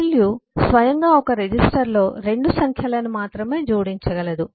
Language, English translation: Telugu, alu by itself can only add 2 numbers in a register and so on